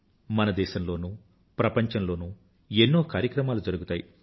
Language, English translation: Telugu, There are many programs that are held in our country and the world